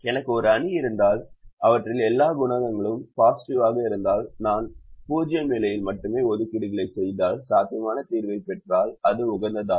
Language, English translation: Tamil, if i have a matrix where all the coefficients are non negative, if i make assignments only in zero positions, if i get a feasible solution, then it is optimum the way i get the zero positions